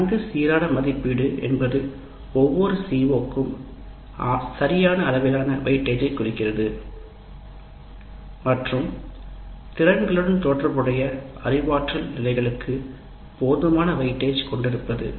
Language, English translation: Tamil, Well balanced in the sense, right amount of weightage to each C O and adequate weight age to the cognitive levels associated with the C O's and competencies